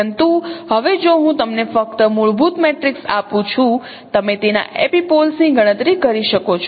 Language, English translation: Gujarati, But now if I just give you simply fundamental matrix, can you compute its epipoles